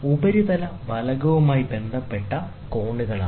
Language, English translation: Malayalam, So, these are the angles with respect to the surface plate